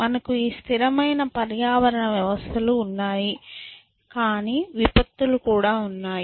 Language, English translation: Telugu, So, we have this stable eco systems, but we also have catastrophic on the way essentially